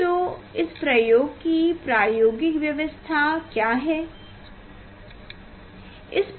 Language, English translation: Hindi, what is the experimental arrangement for this experiment